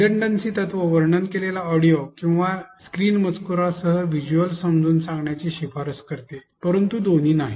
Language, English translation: Marathi, The redundancy principle recommends explaining the visuals with narrated audio or screen text, but not both